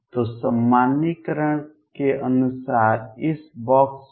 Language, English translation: Hindi, So, according to normalization over this box